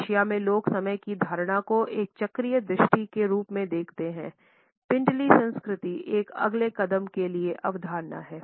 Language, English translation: Hindi, In Asia the people view the perception of time as a cyclical vision, shin culture takes a concept to a next step